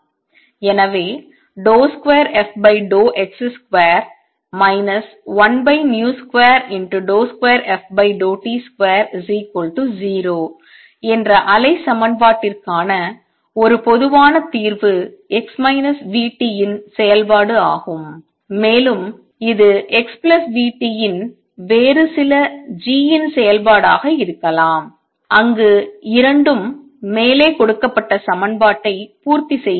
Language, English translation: Tamil, So, a general solution for the wave equation d 2 f by d x square minus 1 over v square d 2 f by d t square is equals to 0 is a function of x minus v t and could be some other function g of x plus v t where both satisfy the equation given above